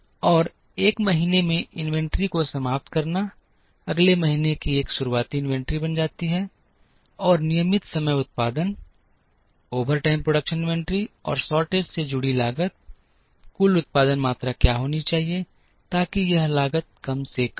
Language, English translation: Hindi, And ending inventory in a month becomes beginning inventory of the next month, and the costs associated with regular time production, overtime production inventory and shortage, what should be the total production quantities such that this cost is minimized